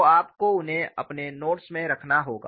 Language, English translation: Hindi, So, you need to have them in your notes